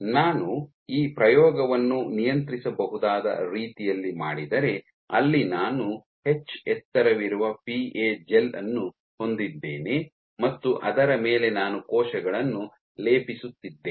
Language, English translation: Kannada, So, if I do this experiment in a controllable manner where I have a PA gel of height H and on top of which I am plating cells